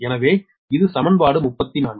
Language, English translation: Tamil, so that is equation forty three